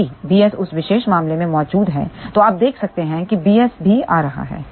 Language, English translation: Hindi, If b s is present in that particular case you can see b s is also coming